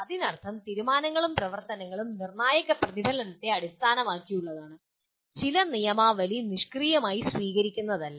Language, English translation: Malayalam, That means decisions and action are based on critical reflection and not a passive adoption of some code